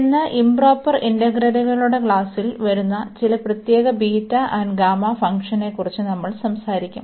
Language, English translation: Malayalam, And today we will be talking about some special functions beta and gamma which fall into the class of these improper integrals